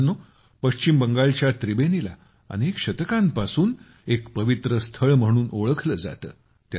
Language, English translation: Marathi, Friends, Tribeni in West Bengal has been known as a holy place for centuries